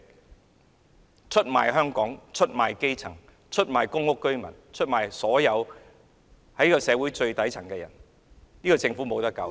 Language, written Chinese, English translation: Cantonese, 她出賣香港、基層市民、公屋居民，以及所有處於社會最底層的人。, She betrays Hong Kong the grass roots PRH residents and all those in the lowest stratum of society